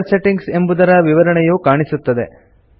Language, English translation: Kannada, The Color Settings details appears